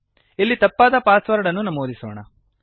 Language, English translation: Kannada, Let us enter a wrong password here